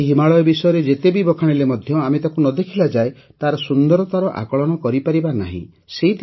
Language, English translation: Odia, No matter how much one talks about the Himalayas, we cannot assess its beauty without seeing the Himalayas